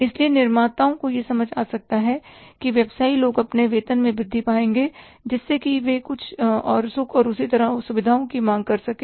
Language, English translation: Hindi, So, the manufacturers can understand that business people will get hike in their salaries so they may demand some more comforts and similarly the luxuries